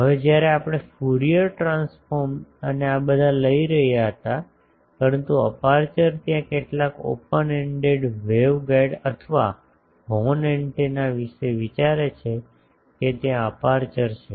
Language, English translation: Gujarati, Now that we were taking Fourier transform and all these, but aperture there is some think of the open ended waveguide or horn antenna that there is an aperture